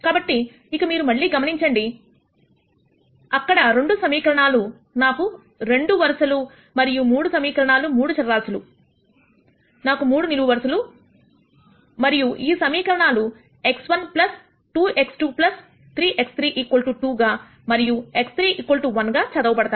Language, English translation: Telugu, So, again notice here since there are 2 equations, I have 2 rows and 3 equation 3 variables, I have 3 columns and these equations are read as x 1 plus 2 x 2 plus 3 x 3 is 2 and x 3 equals 1